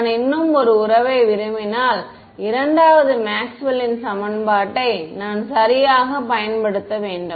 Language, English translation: Tamil, If I want one more relation, I need to use the second Maxwell’s equation right